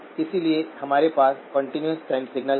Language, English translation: Hindi, So we have a continuous time signal